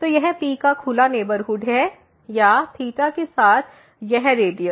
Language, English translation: Hindi, So, this is the open neighborhood of P or with radius this delta